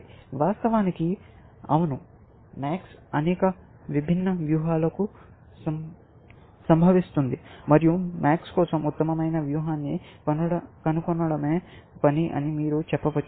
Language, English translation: Telugu, Of course, yes, max has occurs to many different strategies, and you can say that the task is to find the best strategy for max, essentially